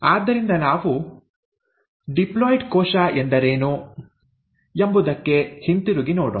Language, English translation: Kannada, So let us go back to what is a diploid cell